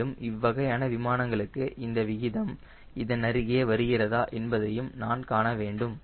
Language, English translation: Tamil, and i must see that for this type of aeroplane, whether this ratios coming closer or not